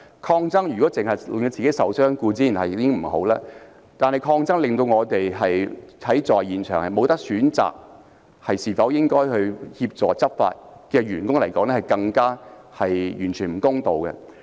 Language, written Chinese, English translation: Cantonese, 抗爭令自己受傷固然不好，但對於在現場無法選擇應否協助執法的員工而言，更是完全不公道。, While it is bad to get hurt by engaging in confrontation it is utterly unfair to those colleagues on site who have no choice but to assist in enforcing order